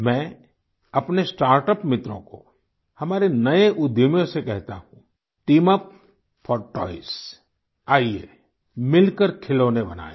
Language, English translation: Hindi, To my startup friends, to our new entrepreneurs I say Team up for toys… let us make toys together